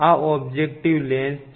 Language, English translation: Gujarati, So, this is the objective lens